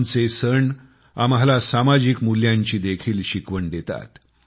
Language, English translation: Marathi, Our festivals, impart to us many social values